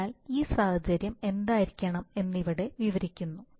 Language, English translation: Malayalam, So that is the situation described here what should be this